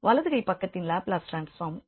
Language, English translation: Tamil, And the right hand side it is the Laplace transform of 1